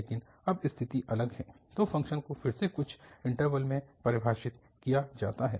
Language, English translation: Hindi, So, the function is again defined in some interval